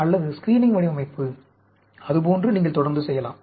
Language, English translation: Tamil, Or, screening design, like that you can keep on doing